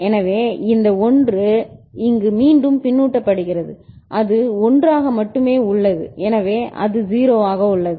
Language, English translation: Tamil, So, and this 1 is fed back here and it remains 1 only so it remains 0